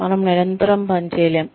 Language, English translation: Telugu, We cannot, constantly